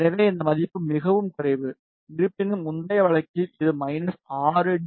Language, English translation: Tamil, So, this value is very less; however, in earlier case it was minus 6 dB